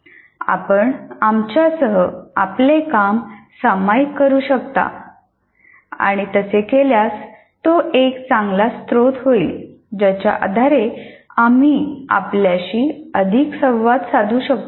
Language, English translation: Marathi, And if you can share your output with the, with us, it will become a very good source based on which we can interact with you more